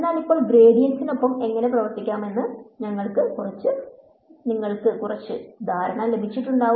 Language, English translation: Malayalam, So, we have got some idea of how to work with the gradient now